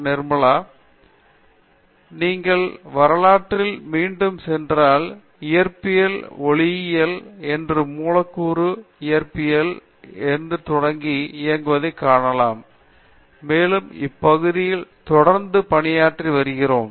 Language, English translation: Tamil, Okay so, if you go back in history you will find physics starting from say, Optics, Atomic and Molecular physics and we still continue to work in these areas